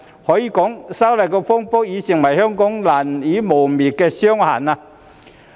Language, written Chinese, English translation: Cantonese, 可以說道，修例風波已成為香港難以磨滅的傷痕。, It can be said that the legislative amendment turmoil has become an inerasable scar in Hong Kong